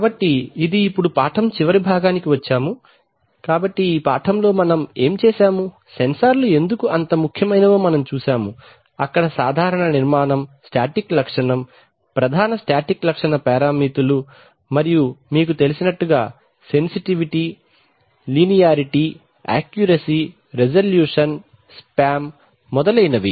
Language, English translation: Telugu, So this brings us to the end of the lesson, so what we have done in this lesson is, that we have seen why sensors are so important, we have also seen there, there general structure we have looked at the static characteristic, main static characteristic parameters and like you know, sensitivity, linearity, accuracy, resolution, spam etc